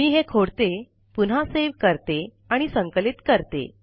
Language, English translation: Marathi, Let me save it first and then compile it